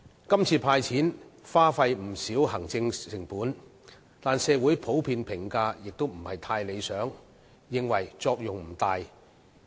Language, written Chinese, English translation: Cantonese, 今次"派錢"耗費了不少行政成本，但社會普遍的評價並不理想，認為作用不大。, The offer of a cash handout this time around has incurred a considerable amount of administration cost yet the community in general considers the arrangement undesirable and less than effective